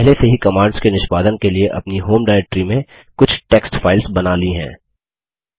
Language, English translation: Hindi, I have already created some text files in my home directory to execute the commands